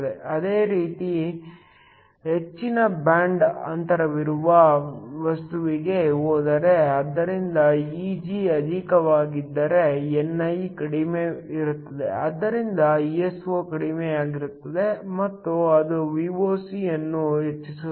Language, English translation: Kannada, Similarly, if go for a material with the higher band gap so if Eg is higher then ni will be lower, so Iso will be lower and that will also increase Voc